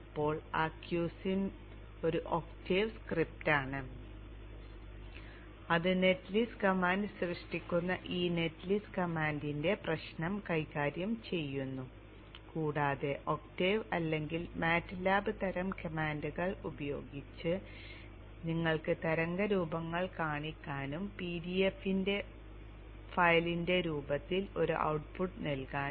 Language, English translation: Malayalam, You see that there is a Q and then there is NG sim now the Q Sim is an octave script which which takes care of the issue of this netlist command generating net list command and also to show you the waveforms using octave or matlap type of commands and also to put an output in the form of a PDF file